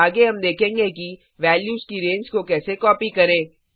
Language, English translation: Hindi, Next well see how to copy a range of values